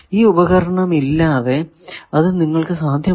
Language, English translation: Malayalam, This is a device without which you cannot find that